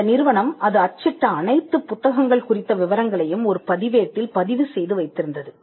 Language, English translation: Tamil, The company will maintain a register as to all the books that it has printed, and it would be on record as to what was printed